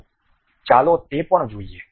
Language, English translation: Gujarati, So, let us look at that also